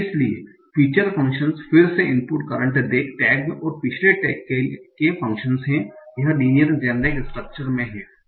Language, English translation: Hindi, So feature functions are again function of the input, current tag and previous tag